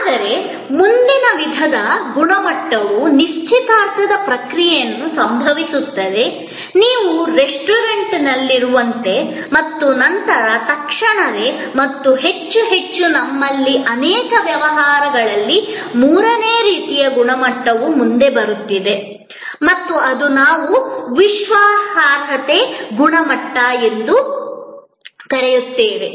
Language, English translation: Kannada, But, the next type of quality, which is experience quality happens during the process of engagement, like when you are having a meal at a restaurant and after, immediately after and more and more we have a third type of quality coming forward in many business engagements and that is, but we call credence quality